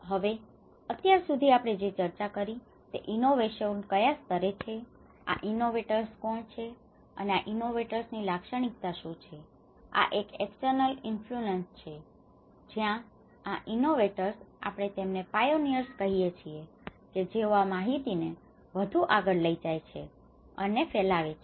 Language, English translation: Gujarati, Now, till now what we discussed is the innovations at what level, who are these innovators okay and what are the characteristics of these innovators; an external influence that is where these innovators we call are the pioneers who take this information further and diffuse it further